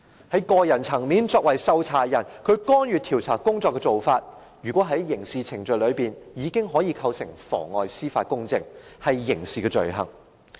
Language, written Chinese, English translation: Cantonese, 在個人層面，作為受查人，他干預調查工作的做法，根據刑事程序，已足以構成妨礙司法公正，屬於刑事罪行。, On a personal level as the subject of inquiry his inference with the inquiry can well constitute the offence of perverting the course of public justice which is a criminal offence